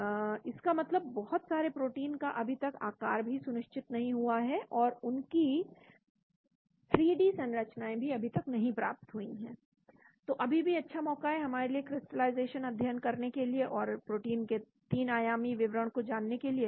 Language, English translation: Hindi, So that means a lot of proteins have still not been crystalized and their 3D structures have not been obtained, so there is still good opportunity for us to do a crystallization study and get the details 3 dimensional details of proteins